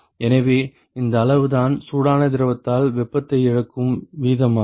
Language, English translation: Tamil, So, that is the amount of that is the rate at which the heat is being lost by the hot fluid